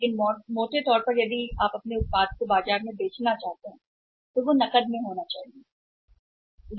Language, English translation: Hindi, But largely if you want to sell on your product in the market it has to be on cash or it is on the cash